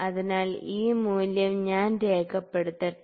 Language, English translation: Malayalam, So, let me note down this value